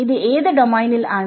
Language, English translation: Malayalam, So, this is in which domain